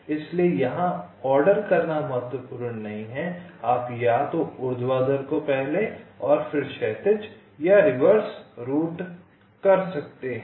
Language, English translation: Hindi, you can either route the vertical on first and then horizontal, or the reverse